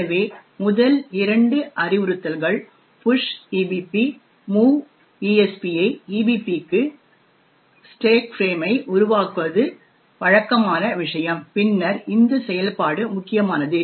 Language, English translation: Tamil, So, the first two instructions push EBP and move ESP to EBP, are the usuals thing to actually create the stack frame and then importantly is this function